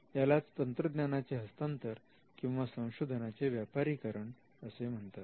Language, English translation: Marathi, So, we call it transfer of technology or commercialization of research